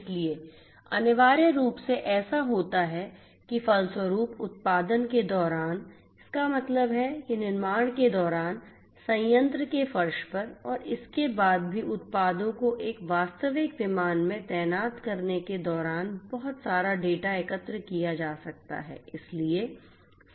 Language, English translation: Hindi, So, essentially what happens is that you know consequently what happens during the production; that means, during manufacturing productions so on in the floor of the plants and also after the products are deployed in a real aircraft lot of data can be collected